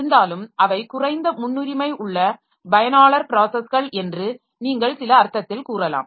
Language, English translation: Tamil, So, though they, so you can say in some sense that they are low priority user processes